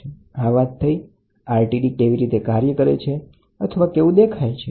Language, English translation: Gujarati, So, this is how RTD works or this is how RTD looks